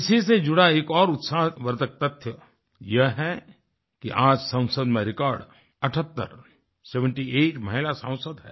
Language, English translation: Hindi, Another encouraging fact is that, today, there are a record 78 women Members of Parliament